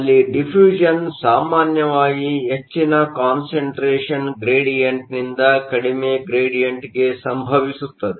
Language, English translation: Kannada, We can think of this in terms of diffusion, where diffusion usually occurs from a higher concentration gradient to a lower gradient